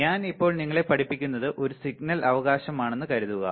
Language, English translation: Malayalam, Suppose, whatever I am right now teaching you is a signal right